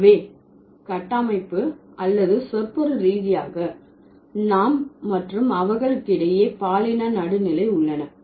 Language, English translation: Tamil, So, structurally or semantically, we and they are gender neutral